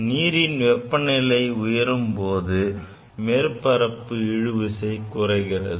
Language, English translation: Tamil, Because the heating reduces the surface tension